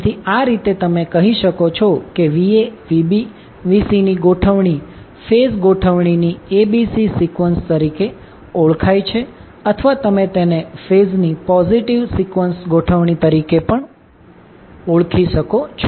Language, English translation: Gujarati, So, in that way you can say that the particular Va Vb Vc arrangement is called as ABC sequence of the phase arrangement or you can call it as a positive sequence arrangement of the phases